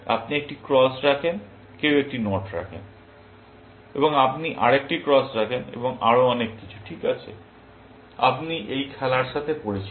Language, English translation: Bengali, You put one cross, somebody puts a knot and you put another cross, and so on and so forth, right; you are familiar with this game